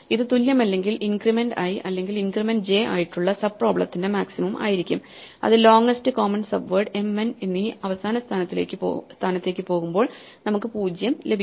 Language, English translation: Malayalam, If it is not equal it will be the maximum of the two sub problems where either increment i or increment j and has with the longest common subword when we go to the last position m and n we get 0